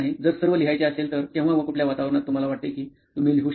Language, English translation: Marathi, If at all you write, in what environment or when do you think you probably write